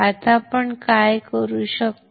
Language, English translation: Marathi, Now, what we can do